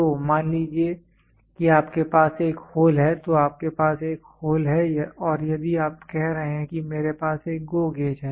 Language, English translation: Hindi, So, suppose if you have a hole you have a hole and if you are saying that I have a GO gauge